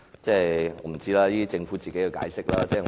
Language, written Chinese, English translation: Cantonese, 我不知道，那是政府的解釋。, That was the Governments explanation